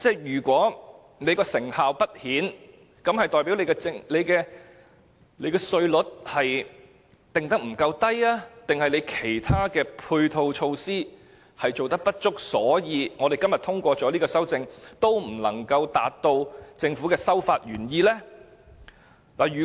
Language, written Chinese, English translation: Cantonese, 如果成效不彰，是代表所訂稅率不夠低，還是其他配套措施不足，以致今天通過這項修正案，也無法達到政府的修法原意呢？, If the origin intent could not be met even after the passage of the Governments amendment is the ineffectiveness of the proposal attributable to the insufficient tax cut or the inadequate support measures?